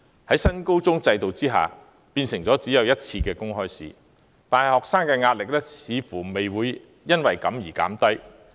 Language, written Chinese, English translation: Cantonese, 在新高中學制改為只有1次公開試，但學生的壓力似乎並未因而減低。, Under the New Senior Secondary academic structure students are subject to one open examination only but the pressure they face does not seem to have alleviated